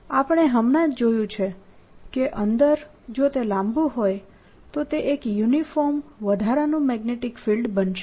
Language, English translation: Gujarati, we just saw that inside, if it is a long one, its going to be a uniform additional magnetic field